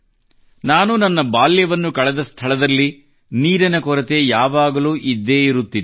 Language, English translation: Kannada, The place where I spent my childhood, there was always shortage of water